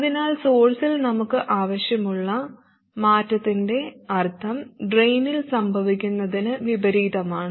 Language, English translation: Malayalam, So the sense of change we want at the source is opposite of what is happening at the drain